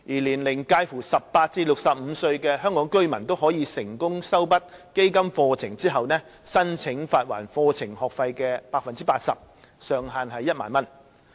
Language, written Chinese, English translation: Cantonese, 年齡介乎18至65歲的香港居民均可在成功修畢基金課程後，申請發還課程學費的 80%， 上限為1萬元。, Hong Kong residents aged from 18 to 65 can submit claims for reimbursement upon successful completion of the courses . The amount of subsidy is 80 % of the fees subject to a maximum sum of 10,000